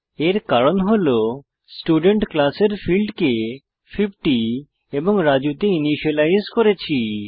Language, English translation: Bengali, This is because we had explicitly initialized the fields of the Student class to 50 and Raju